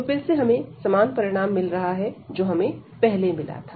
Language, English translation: Hindi, So, again we are getting the similar result, which was earlier one